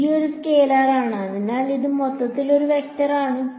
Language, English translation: Malayalam, g is a scalar, so, the this is overall a vector